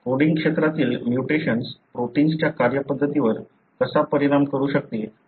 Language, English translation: Marathi, That is about how mutations in the coding region could affect the way the protein functions